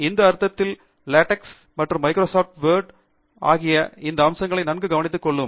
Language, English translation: Tamil, In this sense, LaTeX and Microsoft Word can take care of these aspects very well